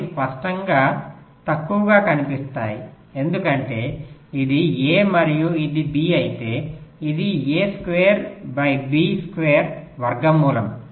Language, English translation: Telugu, they will obviously be shorter, because this was this: if this is a and this is b, this will be square root of a, square by b, square, pythagorus theorem